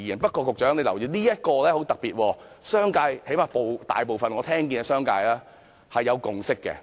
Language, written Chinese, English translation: Cantonese, 不過，局長請你留意，這一點很特別，因為最低限度我聽到商界大部分的人對此是有共識的。, But Secretary please pay attention to this point which is special because at least from most of the views that I have heard from the business sector there is a consensus on this point